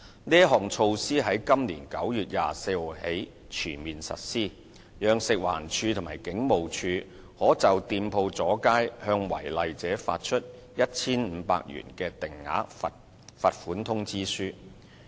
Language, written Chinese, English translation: Cantonese, 這項措施於今年9月24日起全面實施，讓食物環境衞生署及香港警務處可就店鋪阻街向違例者發出 1,500 元的定額罰款通知書。, This measure has come into full operation since 24 September this year under which the Food and Environmental Hygiene Department FEHD and the Hong Kong Police Force may issue fixed penalty notices of 1,500 to offenders in respect of shop front extensions